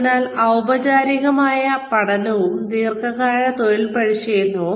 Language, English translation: Malayalam, So formal learning, and long term on the job training